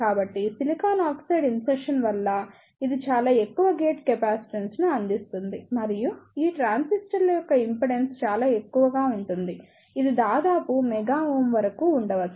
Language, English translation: Telugu, So, due to the insertion of silicon oxide, it provides very high gate capacitance and the impedance of these transistors will be very high maybe up to of the order of mega ohm